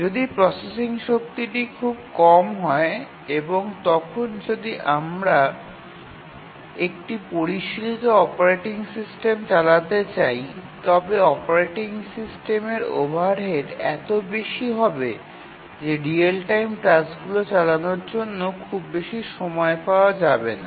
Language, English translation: Bengali, When the processing power is small, if we want to run a sophisticated operating system, then the overhead of the operating system will be so much that there will be hardly any time left for running the real time tasks